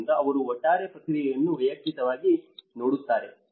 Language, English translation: Kannada, So, they look at the overall process as well as individual